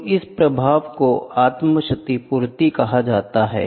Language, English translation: Hindi, So, this effect is called as self compensation